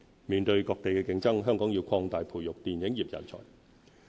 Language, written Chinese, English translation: Cantonese, 面對各地的競爭，香港要擴大培育電影業人才。, In the face of competition from all around Hong Kong has to nurture more film talent